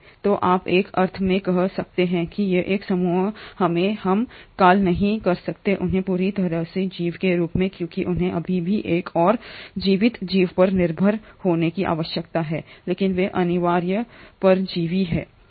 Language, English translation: Hindi, So you can in a sense say that these are a group of, we cannot call them as organisms completely because they still need to depend on another living organism, but they are kind of obligatory parasites